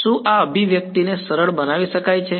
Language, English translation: Gujarati, Can this can this expression gets simplified